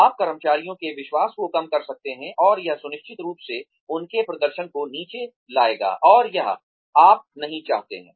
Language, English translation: Hindi, You could undermine the confidence of the employees, and it will definitely bring down their performance, and that, you do not want